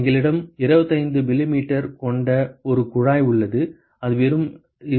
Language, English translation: Tamil, We have a tube which is 25 millimeter there is just 2